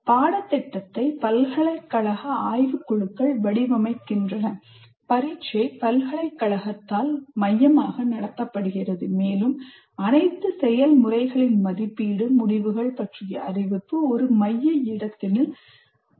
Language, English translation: Tamil, Curculum is designed by Board of Studies of the University and then examination is conducted by the university centrally and then evaluation is done, the results are declared, everything, all the processes are done by the one central place